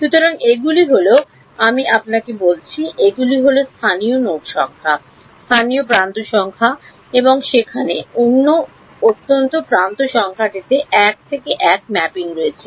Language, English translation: Bengali, So, these are as I told you these are local node numbers, local edge numbers and there is a 1 to 1 mapping to unique edge number